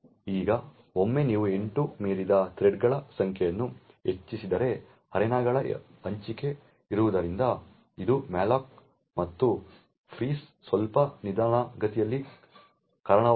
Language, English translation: Kannada, Now once you increase the number of threads beyond 8 since there is a sharing of arenas it could result in a slight slowdown of the malloc and frees